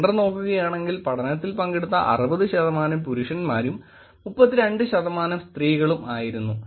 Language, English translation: Malayalam, The male and female gender was 67 towards male and 32 towards female